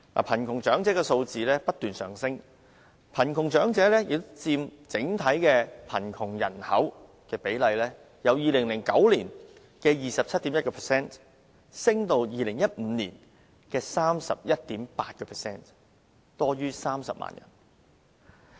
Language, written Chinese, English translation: Cantonese, 貧窮長者的數字不斷上升，貧窮長者佔整體貧窮人口的比例由2009年的 27.1% 上升至2015年的 31.8%， 多於30萬人。, The elderly in poverty accounted for 27.1 % of the total poverty population in 2009 as compared to 31.8 % in 2015 numbering at more than 300 000 people